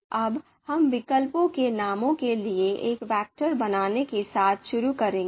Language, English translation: Hindi, Now, we will start with creating a vector for the names of alternatives